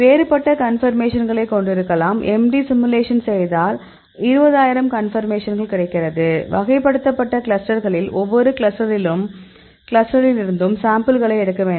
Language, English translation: Tamil, So, we may different conformations; so did MD simulations and then we get 20000 conformation; classified in a different clusters and picked up the samples from each cluster